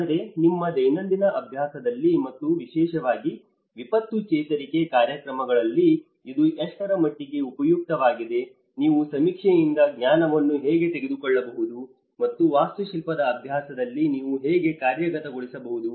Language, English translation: Kannada, But then to what extent it is useful in your daily practice and especially in the disaster recovery programs to how you can actually take away the knowledge from the surveying and how you can implement in the architectural practice